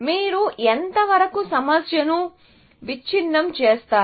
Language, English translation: Telugu, Till what extent you break down a problem